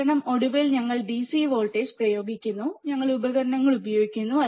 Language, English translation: Malayalam, Because finally, we are applying DC voltage, we are applying voltage, we are using the equipment